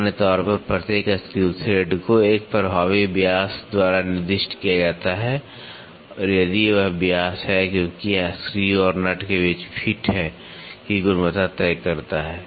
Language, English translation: Hindi, In general, each screw thread is specified by an effective diameter or if it is diameter as it decides the quality of the fit between the screw and a nut